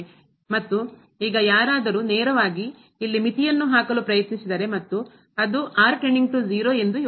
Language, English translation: Kannada, And now if someone just directly try to put the limit here and think that goes to 0